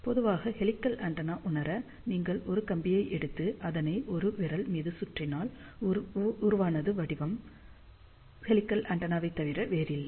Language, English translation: Tamil, So, helical antenna in general can be realize, if you just take a wire and wrap it around let say a finger like this, so the shape, which is formed is nothing but helical antenna